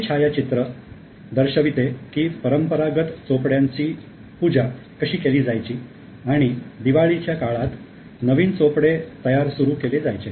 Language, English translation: Marathi, This is a traditional photo how the chopris used to be worshipped and then the new chopries will be started during Diwali